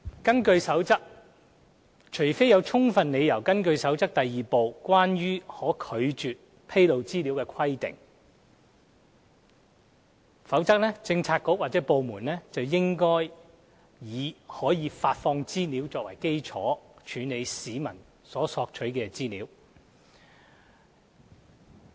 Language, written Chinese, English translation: Cantonese, 根據《守則》，除非有充分理由根據《守則》第2部的規定拒絕披露資料，否則政策局/部門應以可發放資料作為基礎，處理市民所索取的資料。, According to the Code unless there is good reason to withhold the disclosure of information under Part 2 of the Code relating to the provision on information which may be refused bureauxdepartments should work on the basis that information requested will be released when handling requests for information from members of the public